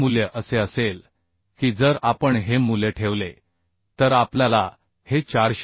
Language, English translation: Marathi, This value will be if we put this value we can see this 455